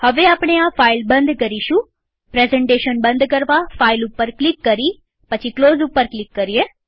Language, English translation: Gujarati, Now we will close the file.To close the presentation, click on File and Close